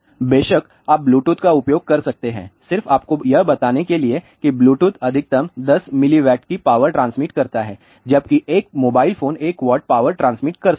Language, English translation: Hindi, Of course, you can use Bluetooth; ah just to tell you Bluetooth transmits maximum 10 milliwatt of power whereas, a mobile phones may transmit 1 watt of power